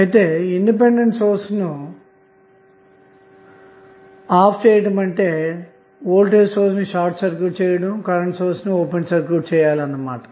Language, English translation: Telugu, So, again the turned off means the voltage source would be short circuited and the current source would be open circuited